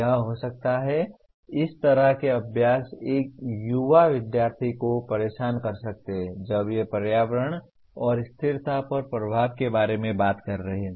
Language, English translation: Hindi, This can be, that kind of exercises can be irritating to an young student when they are talking about the impact on environment and sustainability